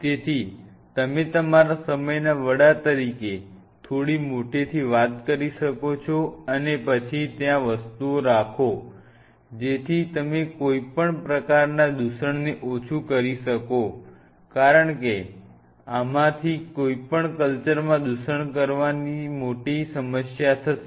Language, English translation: Gujarati, So, you might as well thing little louder I head of your time and have the things then and there, so that you minimize any kind of contamination because see your major problem will be contamination in any of these cultures